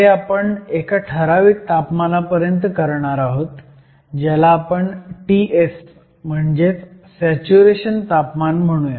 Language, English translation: Marathi, So, we do this still some temperature which we are going to call T s or a saturation temperature